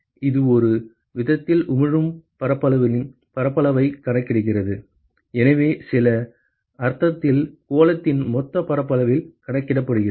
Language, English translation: Tamil, So, it is accounted in some sense the area of the emitting surfaces, so in some sense accounted in the total area of the sphere